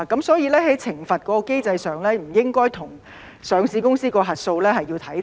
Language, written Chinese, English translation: Cantonese, 所以在懲罰機制上，不應該與上市公司的核數師看齊。, Therefore as far as the penalty mechanism is concerned it should not be put on a par with the one applicable to auditors of listed companies